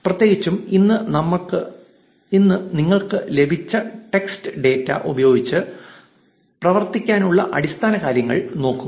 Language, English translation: Malayalam, Specifically, today we will be looking at the basics of working with textual data that you have obtained